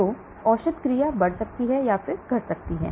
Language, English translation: Hindi, So the drug action may increase or decrease